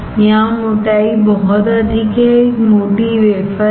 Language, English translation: Hindi, Here the thickness is very high is a thick wafer